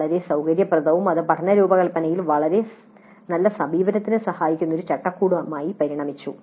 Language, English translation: Malayalam, It's quite flexible and it has evolved into a framework that facilitates a very good approach to designing the learning